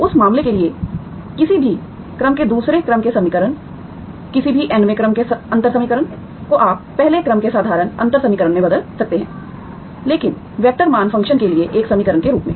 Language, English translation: Hindi, Second order equationsof any order for that matter, any nth order differential equation you can convert into first order ordinary differential equation but as an equation for the vector valued function